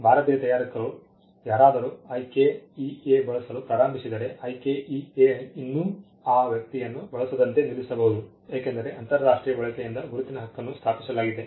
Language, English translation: Kannada, If someone an Indian manufacturer starts using IKEA, IKEA could still come and stop that person, because there a right to the mark is established by use international use